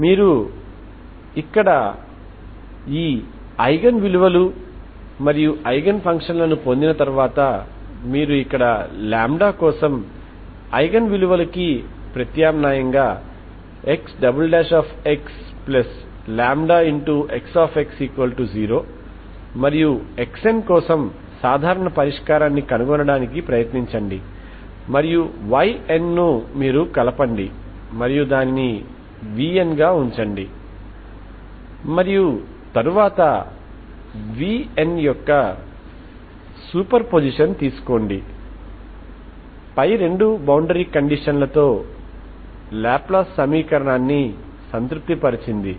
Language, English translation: Telugu, Once you get this eigenvalues and eigenfunctions here you substitute for eigenvalues for lambda here and try to solve, try to find the general solution for X n, X n and Y n you combine and put it as vn and then take a super position of vn that satisfies the laplace equation with this two boundary conditions one and two